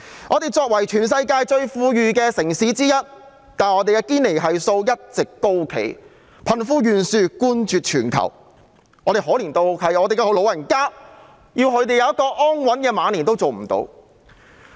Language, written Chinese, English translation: Cantonese, 我們作為全世界最富裕的城市之一，但堅尼系數一直高企，貧富懸殊冠絕全球，可憐得連讓老人家安享晚年也做不到。, As one of the wealthiest cities in the world Hong Kongs Gini Coefficient has all along been high and we rank first in the world in terms of the disparity between the rich and the poor . It is such a pity that we cannot even provide our elderly with a happy life in their twilight years